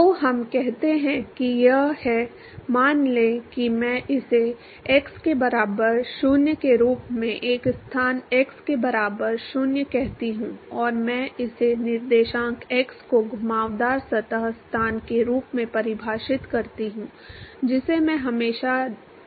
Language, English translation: Hindi, So, let us say that this is the; let us say I call this as x equal to 0 a location x equal to 0 and I define my coordinates x as the curved surface location I can always give that